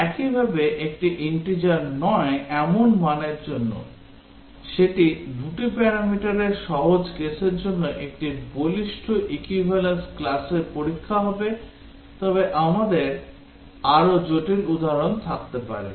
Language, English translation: Bengali, Similarly, for a non integer value; so that will be a robust strong equivalence class testing for the simple case of two parameters, but we can have much more complex examples